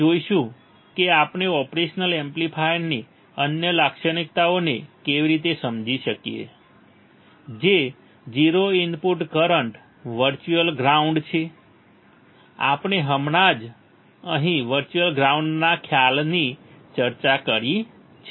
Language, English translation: Gujarati, We will see; how can we understand the other characteristics of operation amplifier which are the 0 input current virtual ground, we have just discussed virtual ground concept right over here, right